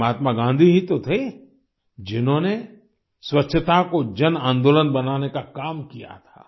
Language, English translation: Hindi, It was Mahatma Gandhi who turned cleanliness into a mass movement